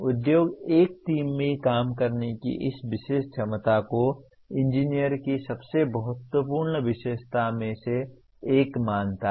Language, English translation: Hindi, Industry considers this particular ability to work in a team as one of the very very important characteristic of an engineer